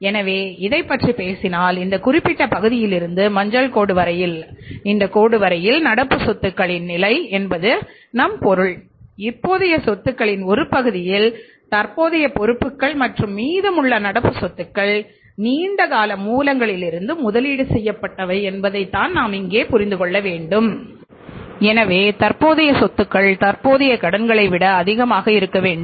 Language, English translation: Tamil, So it means we have seen here that this particular part if you talk about this is the level of current assets from this line to this line up to yellow line this is the level of current assets and means up to this we have the total current asset this side if you look at this is a level of current liabilities so it means current liabilities are funding part of the current assets and remaining current assets are being funded from their long term sources there from the long term sources so it means that the current assets are more than the current liabilities and part of the current assets are only funded from the short term sources from the current liabilities and then remaining is being funded from the long term sources